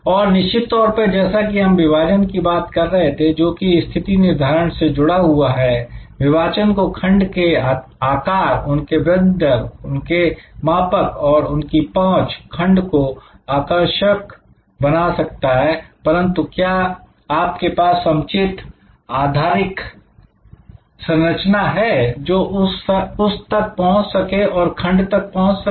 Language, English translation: Hindi, And; obviously, like we were talking about segmentation which is so linked to positioning, segmentation needs the kind of analysis like the size of the segment, it is growth rate, measurability, accessibility, the segment may be very attractive, but do you have the proper kind of infrastructure to access, that segment